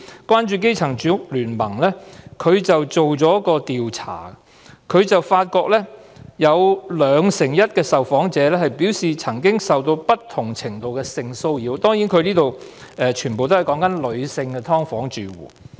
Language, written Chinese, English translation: Cantonese, 關注基層住屋聯盟曾進行一項調查，發現 21% 的受訪者表示曾經受到不同程度的性騷擾，他們全部都是女性"劏房"住戶。, According to a survey conducted by Concerning Grassroots Housing Rights Alliance 21 % of the interviewees have suffered different degrees of sexual harassment and all of them are female residents of subdivided units